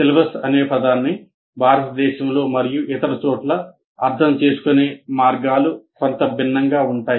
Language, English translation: Telugu, The way syllabus that word is understood in India and elsewhere are somewhat different